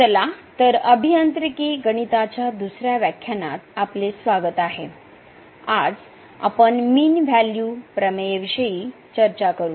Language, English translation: Marathi, So, welcome to the second lecture on Engineering Mathematics – I and today, we will discuss Mean Value Theorems